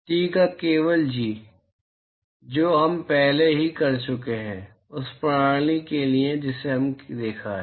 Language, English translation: Hindi, Only G of T; that we have already done; for the system that we have looked at